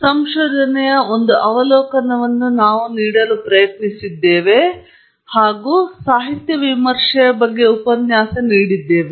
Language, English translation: Kannada, We have tried to give you an overview of research, and of course, we have also gone through a lecture on literature review